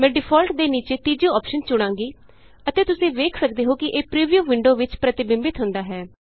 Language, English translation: Punjabi, I will choose the third option under Default and you can see that it is reflected in the preview window